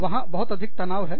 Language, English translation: Hindi, There is too much stress